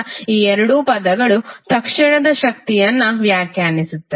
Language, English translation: Kannada, So these two terms are defining the instantaneous power